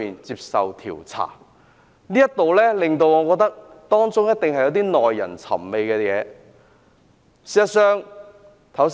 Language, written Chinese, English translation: Cantonese, 就此，我認為當中一定有耐人尋味的事情。, From this perspective I think there must be an intriguing story behind